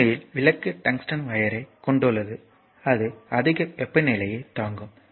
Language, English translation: Tamil, So, and the lamp actually I told you it contains tungsten wire it can withstand high temperature